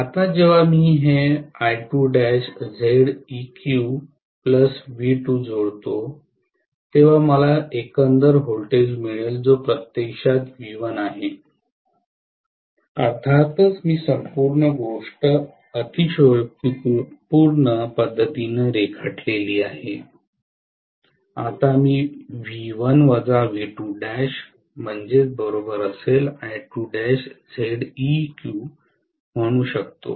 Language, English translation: Marathi, Now when I add this I2 dash Z equivalent to that of V2 I will get the overall voltage which is actually V1, of course I have drawn the whole thing in the exaggerated fashion, now I can say V1 minus V2 dash will be equal to I2 dash Z equivalent